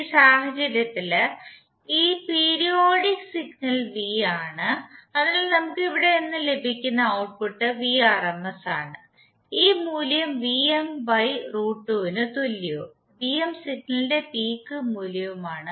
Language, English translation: Malayalam, In this case this periodic signal is V, so the output which we get from here is Vrms and this value is equal to Vm by root 2 and Vm is the peak value of the signal